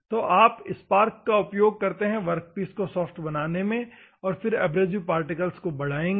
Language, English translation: Hindi, So, you can have the spark to make the workpiece soft then the abrasive particle will enhance